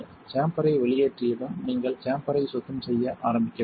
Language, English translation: Tamil, Once the chamber is vented you should begin cleaning the chamber